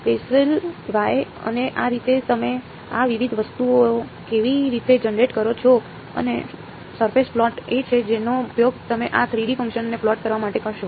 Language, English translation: Gujarati, So, they have Bessel J, Bessel Y and so on that is how you generate this different things and the surface plot is what you will used to plot this 3 D function ok